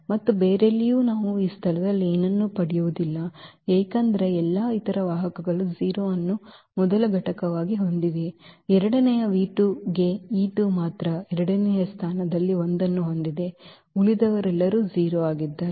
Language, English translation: Kannada, And no where else we will get anything at this place because all other vectors have 0 as first component; for the second v 2 only the e 2 has 1 at the second place all others are 0